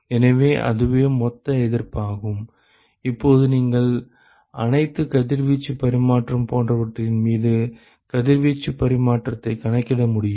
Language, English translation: Tamil, So, that is the total resistance, and now you should be able to calculate the radiation exchange over all radiation exchange etcetera